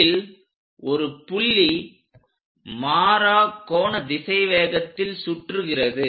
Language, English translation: Tamil, One of the point is rotating at constant angular velocity